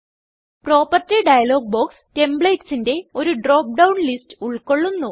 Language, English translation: Malayalam, Property dialog box contains Templates with a drop down list